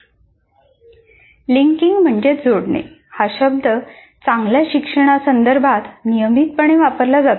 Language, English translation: Marathi, So the word linking is constantly used that is involved in good learning